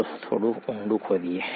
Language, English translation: Gujarati, Let’s dig a little deeper